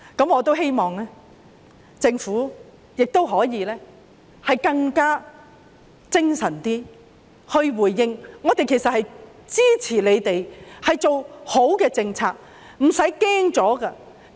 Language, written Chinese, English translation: Cantonese, 我希望政府可以更精神地作出回應，我們支持他們做好的政策，不要害怕。, I hope the Government will give its response in a more energetic manner . We support them to put forth good policies . So do not fear